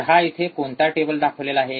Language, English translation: Marathi, So, what is the table shown here